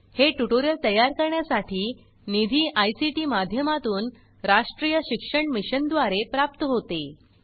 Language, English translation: Marathi, Funding to create this tutorial has come from the National Mission on Education through ICT